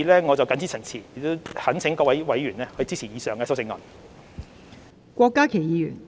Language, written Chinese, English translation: Cantonese, 我謹此陳辭，懇請各位委員支持以上修正案。, With these remarks I implore Members to support the CSAs proposed above